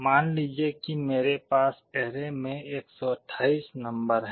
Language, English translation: Hindi, Suppose I have 128 numbers in the array